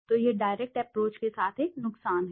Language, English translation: Hindi, So this is a disadvantage with the direct approach